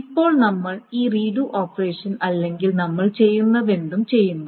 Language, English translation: Malayalam, Now, we are doing this redo operation or whatever we are doing